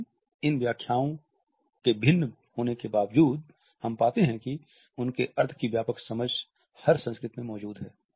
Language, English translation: Hindi, But even though these interpretations are different we find that a broad understanding of their meaning does exist in every culture